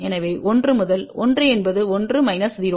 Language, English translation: Tamil, So, 1 into 1 is 1 minus 0